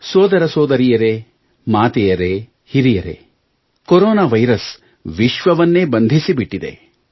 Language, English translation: Kannada, Brothers, Sisters, Mothers and the elderly, Corona virus has incarcerated the world